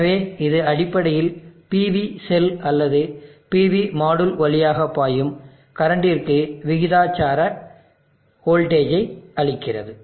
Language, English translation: Tamil, So it is basically giving a voltage proportional to the current flowing through the PV cell or the PV module